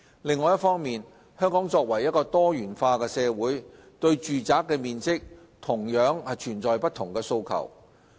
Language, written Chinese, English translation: Cantonese, 另一方面，香港作為多元化社會，對住宅面積同樣存在不同的訴求。, Besides as a pluralistic society there are diverse aspirations in respect of flat size